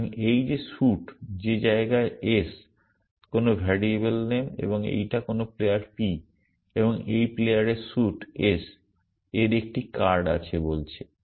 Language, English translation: Bengali, So, this is saying that the suit that is in place s, some variable name and this is some player p and this player has a card of suit s